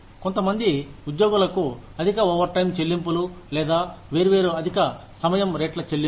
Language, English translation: Telugu, Excessive overtime payments, to some employees, or, payment of different overtime rates